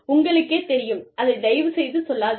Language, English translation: Tamil, You know, so, please, do not say this